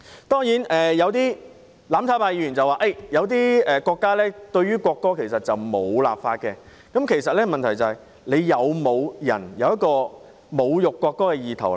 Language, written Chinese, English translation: Cantonese, 當然，有些"攬炒派"議員說某些國家也沒有就國歌立法，但問題在於是否有人有侮辱國歌的意圖。, Certainly some Members from the mutual destruction camp have said that certain countries have not legislated on the national anthem . But the problem lies in whether there are people who have the intention to insult the national anthem